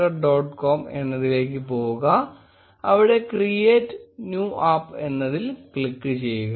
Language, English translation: Malayalam, com and click on create new app